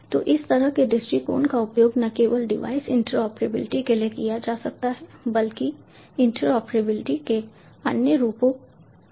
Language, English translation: Hindi, so this sort of approach not only can be used for device interoperability, but also other forms of interoperability as well